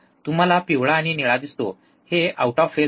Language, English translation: Marathi, You see yellow and blue these are out of phase